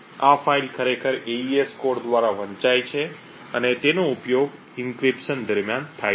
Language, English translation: Gujarati, This file is actually read by the AES code and it is used during the encryption